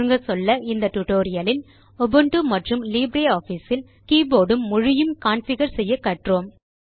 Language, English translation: Tamil, In this tutorial, We learnt how to configure Ubuntu and LibreOffice for keyboard and language settings